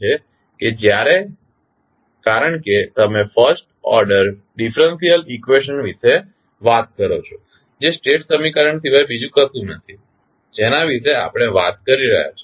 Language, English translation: Gujarati, Because, when you talk about the first order differential equation that is nothing but the state equation we are talking about